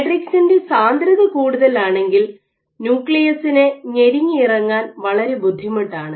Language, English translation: Malayalam, So, if the matrices very dense it is very difficult for the nucleus to be squeezed